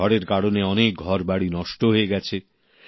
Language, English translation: Bengali, Many houses were razed by the storm